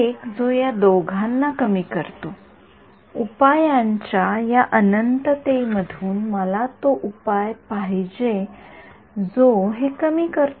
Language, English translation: Marathi, One which minimizes both of them, out of this infinity of solutions I want that solution which minimizes this